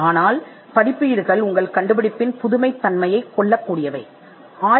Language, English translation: Tamil, But publications are also capable of killing the novelty of your invention